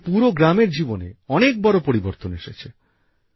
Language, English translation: Bengali, This has brought a big change in the life of the whole village